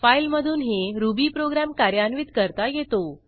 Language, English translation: Marathi, You can also run Ruby program from a file